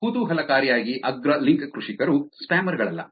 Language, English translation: Kannada, Interestingly top link farmers are not the spammers